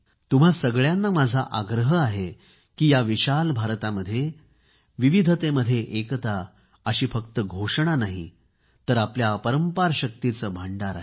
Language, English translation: Marathi, I request you too, to feel the "Unity in Diversity" which is not a mere slogan but is a storehouse of enormous energy